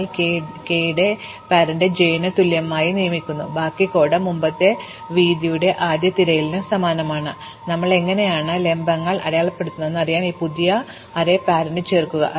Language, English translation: Malayalam, So, we assign the parent of k equal to j, the rest of the code is identical to the earlier breadth first search, we just added this new array parent to keep track of how we mark the vertices